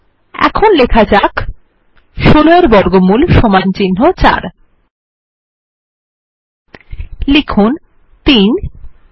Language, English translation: Bengali, Now let us write square root of 16 = 4 Type 3